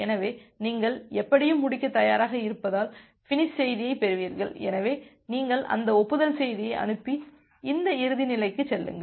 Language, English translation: Tamil, So, you get the finish message because you are anyway ready to finish, so you send that acknowledgement message and move to this closing state